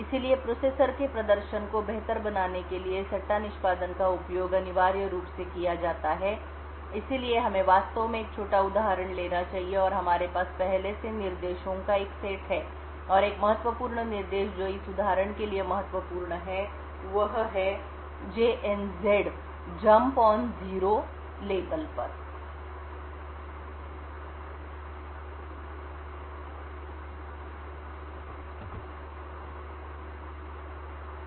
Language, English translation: Hindi, So speculative execution is used essentially to improve the performance of the processor, so let us actually take a small example and we have a set of instructions as before and one important instruction that is important for this example is this this is a jump on no 0 to a label